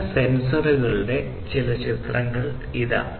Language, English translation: Malayalam, So, here are some pictures of certain sensors